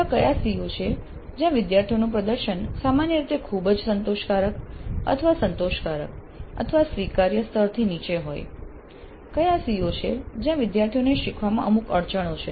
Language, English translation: Gujarati, What are the COs with regard to which the student performance is in general very satisfactory or satisfactory or below acceptable levels which are all the COs where the students have certain bottlenecks towards learning